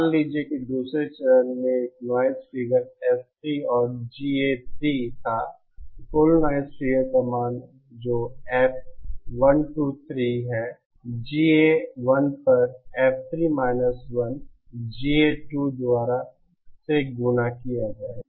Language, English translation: Hindi, Suppose there was another stage with a noise figure S3 and GA3 then the value of the total noise figure that is F123 would be F3 1 upon GA1 multiplied by GA2